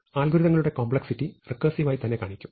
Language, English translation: Malayalam, You will express the complexity of the algorithms itself in a recursive way